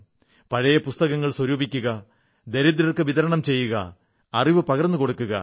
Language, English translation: Malayalam, Collect old books, distribute them amongst the poor, spread the glow of knowledge